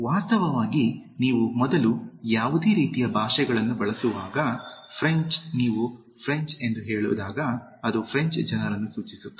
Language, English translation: Kannada, In fact, when you use the before any kind of like languages for example, French when you say the French it refers to the French people